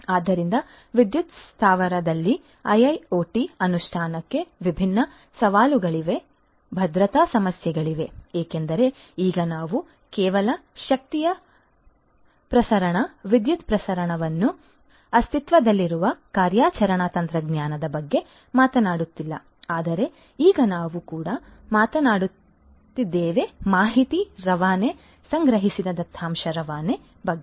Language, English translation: Kannada, So, there are different challenges of implementation of IIoT in a power plant, there are security issues because now we are not just talking about the operational technology that has been existing the transmission of energy, the transmission of electricity, but now we are also talking about transmission of information, transmission of data that is collected